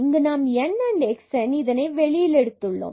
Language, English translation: Tamil, Here a n and x n we have taken out